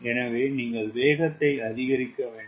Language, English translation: Tamil, so it needs to have larger acceleration